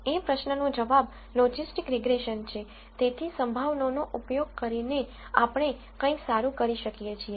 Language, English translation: Gujarati, So, the question that this logistic regression answers is can we do something better using probabilities